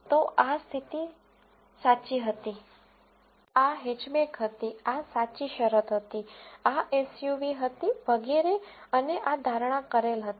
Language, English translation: Gujarati, So, this was the true condition, this was Hatchback, this was the true condition, this was SUV and so on and this is the predicted